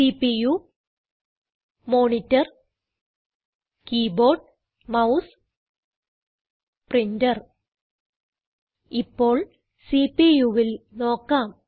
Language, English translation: Malayalam, This is the CPU Monitor Keyboard Mouse and Printer Lets look at the CPU